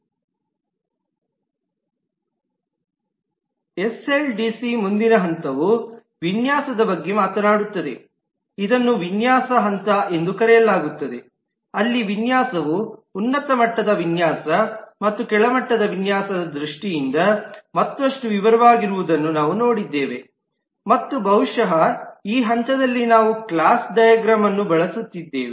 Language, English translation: Kannada, the next phase talks about the design, called the design phase, where we have seen that the design is further detailed in terms of high level design and low level design and possibly at this stage we are making use of the class diagram